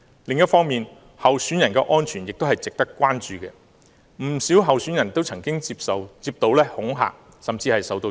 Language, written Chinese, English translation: Cantonese, 另一方面，候選人的安全也是值得關注的，不少候選人也曾接過恐嚇，甚至受襲。, Besides the safety of the candidates should also be considered . Quite many candidates have received threatening messages and even been attacked